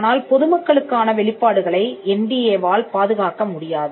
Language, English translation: Tamil, Now, disclosures to the public cannot be protected by NDA